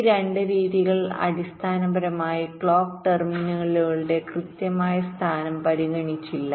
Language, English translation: Malayalam, ok, these two methods basically did not consider the exact location of the clock terminals